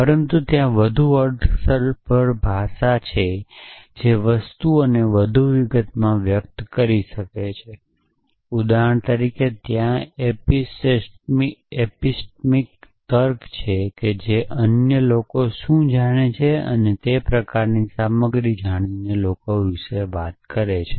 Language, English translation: Gujarati, But there are more expressive language is which can express things in more details for example, there is epistemic logic which talk about people knowing what other people know and that kind of stuff